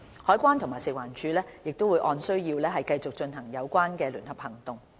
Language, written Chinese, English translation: Cantonese, 海關及食環署會按需要繼續進行有關聯合行動。, CED and FEHD will continue to carry out joint operations as necessary